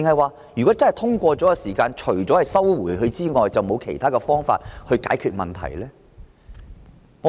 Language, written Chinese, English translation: Cantonese, 還是如果修訂獲通過，政府除了撤回《條例草案》，便沒有其他方法解決問題呢？, Or else if the amendment is passed will the Government have no alternative solution but to withdraw the Bill?